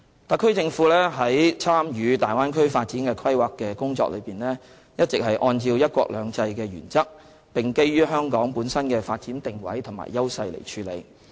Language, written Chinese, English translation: Cantonese, 特區政府在參與大灣區發展的規劃工作時，一直是按照"一國兩制"的原則並基於香港本身的發展定位和優勢來處理。, When the SAR Government participates in the planning of the Bay Area development it has always acted in accordance with the principle of one country two systems and on the basis of Hong Kongs position and advantages in development